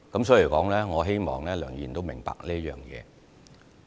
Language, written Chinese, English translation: Cantonese, 所以，我希望梁議員明白這一點。, So I hope Mr LEUNG would understand this